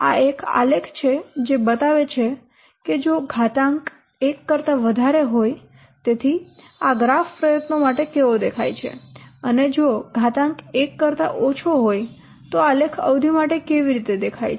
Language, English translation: Gujarati, So this is a graph which shows that if the exponent is greater than one, so how this part graph look like for the effort and if the exponent is less than one how the graph is look like for the duration